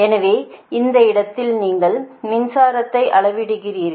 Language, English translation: Tamil, so at this point you measure the power, right